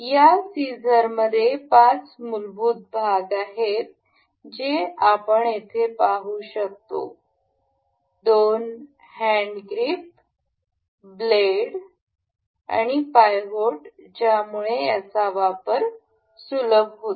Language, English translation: Marathi, This scissor consists of five fundamental parts that we can see here consists of two hand grips, the blades and the pivot that makes it easier to use